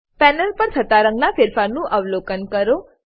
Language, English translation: Gujarati, Observe the change in color on the panel